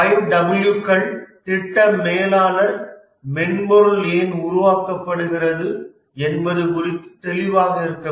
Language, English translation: Tamil, The 5 Ws are the project manager need to be clear about why is the software being built